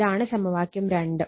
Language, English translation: Malayalam, So, this is equation 2 right